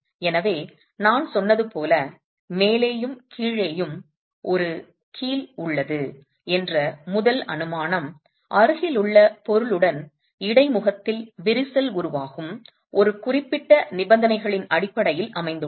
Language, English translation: Tamil, So as I said, the first assumption that we have a hinge at the top and the bottom itself is based on a certain set of conditions of crack formation at the interface with the adjacent material